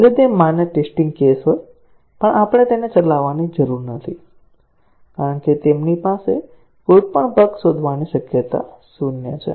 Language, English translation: Gujarati, Even though they are valid test cases, we do not need to run them, because they have zero possibility of detecting any bugs